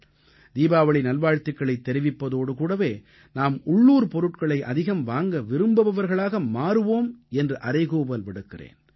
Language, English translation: Tamil, Hence along with the best of wishes on Deepawali, I would urge you to come forward and become a patron of local things and buy local